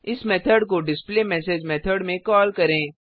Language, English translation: Hindi, Let us call this method in the displayMessage method